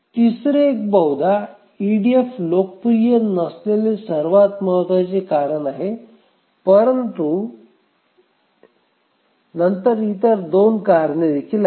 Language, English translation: Marathi, So, the third one is possibly the most important reason why EDF is not popular but then the other two reasons also are bad